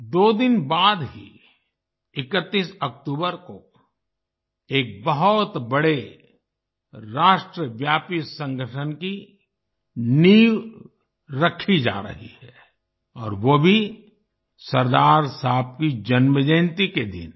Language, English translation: Hindi, Just two days later, on the 31st of October, the foundation of a very big nationwide organization is being laid and that too on the birth anniversary of Sardar Sahib